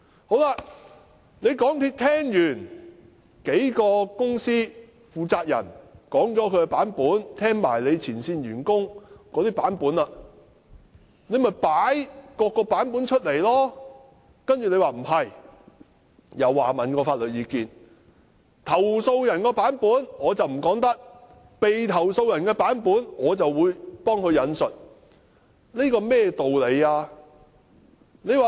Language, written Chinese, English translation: Cantonese, 港鐵公司聽過幾間公司負責人及前線員工的"版本"後，便應將"版本"公開，但實情不是，詢問法律意見後，認為投訴人的"版本"不能公開，被投訴的公司的"版本"卻可以代為引述，這是甚麼道理？, After listening to the versions provided by the responsible persons of the few companies and front - line employees MTRCL should make public these versions . But that was not the case . After seeking legal advice it was decided that the version provided by the complainants could not be made public while the version provided by the company being complaint against could be quoted